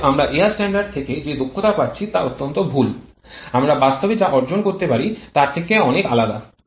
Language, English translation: Bengali, Therefore what we are getting the prediction of air standard efficiency that is extremely wrong that is far off from what we can get in reality